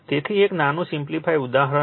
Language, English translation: Gujarati, So, take a one small take a simple example